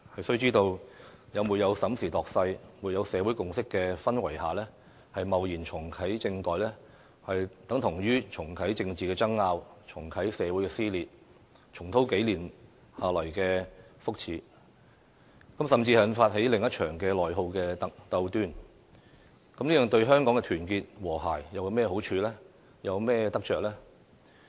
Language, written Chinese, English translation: Cantonese, 須知道，在沒有審時度勢，沒有社會共識的氛圍下貿然重啟政改，等同於重啟政治爭拗，重啟社會撕裂，重蹈數年下來的覆轍，甚至引發起另一場內耗鬥端，這對香港的團結和諧有甚麼好處和得着呢？, One should bear in mind that if we take no stock of the situation and hastily reactivate constitutional reform without having a consensus in the community it is tantamount to reactivate the political row resume social cleavage and repeat the same mistake that we have made over the past few years . We will even trigger another internal attrition and conflict what good will they do to Hong Kongs unity and harmony?